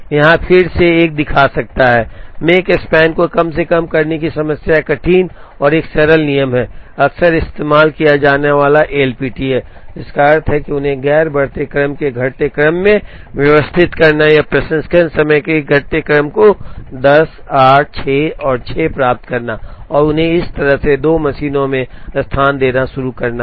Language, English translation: Hindi, Here again, one can show that, the problem of minimizing Makespan becomes hard and difficult a simple rule that is often used is L P T, which means arrange them in the non decreasing order of non increasing order or decreasing order of processing times, to get 10 8 6 and 6 and starting locating them to the 2 machines this way